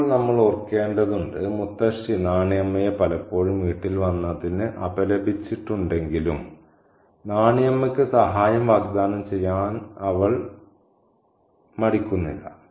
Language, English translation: Malayalam, Now, we need to remember that even though Mutasi has reprimanded Nani Amma for coming by the house quite often, she is not hesitant to offer succor to Nanyamma